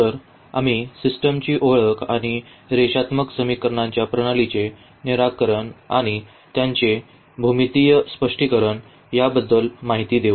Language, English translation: Marathi, So, we will be covering the introduction to the system and also the solution of the system of linear equations and their geometrical interpretation